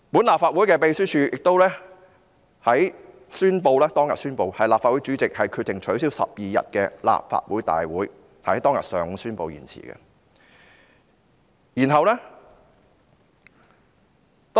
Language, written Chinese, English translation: Cantonese, 立法會秘書處當天宣布，立法會主席決定取消12日的立法會會議，是在當天上午宣布延後的。, The Legislative Council Secretariat announced on that day that the President of the Legislative Council had decided to cancel the Council meeting of 12 June . The postponement of the meeting was announced in the morning of that day